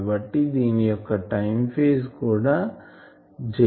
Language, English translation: Telugu, So, this also has a time phase of j